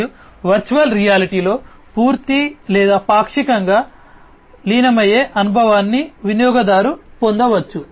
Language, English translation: Telugu, And in virtual reality on the other hand complete or partly partial or complete immersive experience is obtained by the user